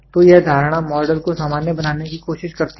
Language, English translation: Hindi, So, this assumption tries to generalize the model